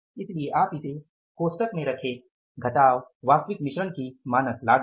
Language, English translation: Hindi, So, put it in the bracket minus standard cost of the actual mix